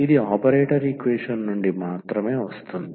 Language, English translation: Telugu, This is from just from the operator equation